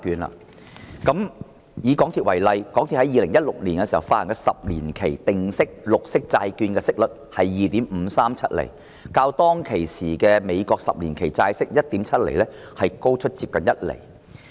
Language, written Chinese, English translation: Cantonese, 以港鐵公司為例，港鐵公司在2016年發行十年期定息綠色債券，息率是 2.537 厘，較當時美國十年期債券 1.7 厘的債息高出接近一厘。, Take MTRCL as an example . MTRCL issued a 10 - year green bond in 2016 at a fixed rate of 2.537 % which was nearly 1 % higher than the 10 - year US Treasury yield of 1.737 %